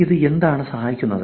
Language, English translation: Malayalam, What does it help